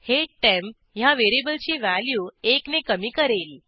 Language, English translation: Marathi, This reduces one from the temp variable value